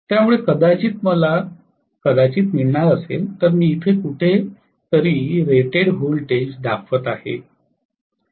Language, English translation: Marathi, So maybe I am going to get may be I am just showing the rated voltage somewhere here